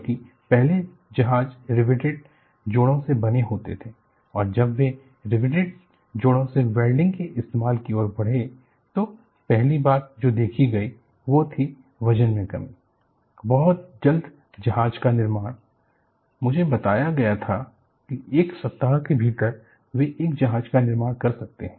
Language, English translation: Hindi, Because previously ships were made of riveted joints and when they moved over from riveted joints to welding, first thing they observed was, there was weight reduction; very quick in fabricating the ship; I was told that, within a week they could fabricate one ship